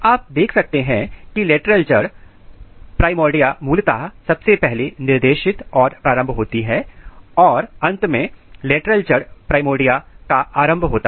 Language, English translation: Hindi, You can see lateral root primordias are initiated first specified then initiated and then finally, lateral root primordia emerged out